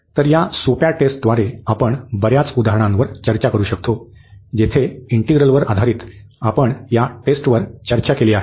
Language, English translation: Marathi, So, with this simple test we can discuss many examples, where based on the integral which we have just discuss this test integral